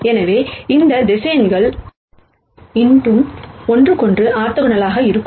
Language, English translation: Tamil, So, these vectors will still be orthogonal to each other